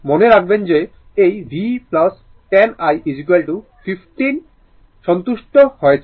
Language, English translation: Bengali, Note that this v plus 10 i is equal to 15 is satisfied